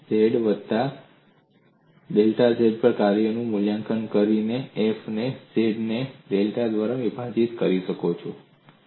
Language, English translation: Gujarati, You evaluate the function at z plus delta z minus f, of z divided by delta z